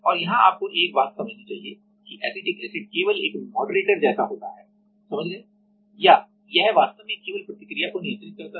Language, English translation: Hindi, And here you should understand one thing that acetic acid is like just a moderator got it or it actually just controls the reaction